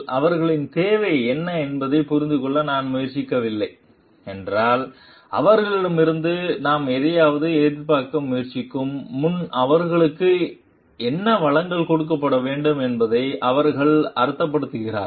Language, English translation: Tamil, If I do not try to understand what are their needs like what do they mean what like resources should be given to them before we try to expect something from them